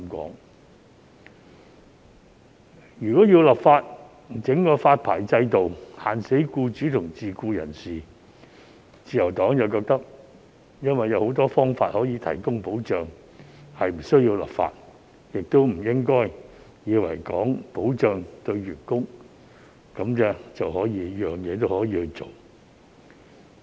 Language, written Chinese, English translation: Cantonese, 但是，關於立法設立發牌制度，硬性規限僱主和自僱人士，自由黨認為有很多方法可以提供保障，是無須立法的，也不應以為為了所謂保障員工，便甚麼也可以做。, However with regard to the idea of legislating for the setting up of a licensing regime to impose rigid restrictions on employers and self - employed persons the Liberal Party does not consider this necessary since there are indeed many ways to provide protection in this respect . Furthermore we should not think that we can do whatever for the sake of providing the so - called protection to employees